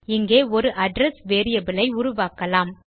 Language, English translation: Tamil, So, we will create an address variable